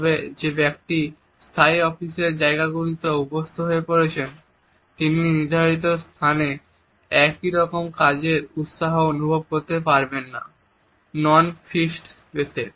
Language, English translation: Bengali, But a person who has been used to a fixed office space may not feel the same level of work enthusiasm in a non fixed space